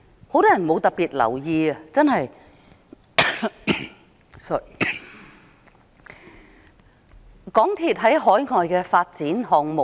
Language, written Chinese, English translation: Cantonese, 很多人沒有特別留意港鐵公司在海外的發展項目。, Many of us have not paid particular attention to the overseas development projects of MTRCL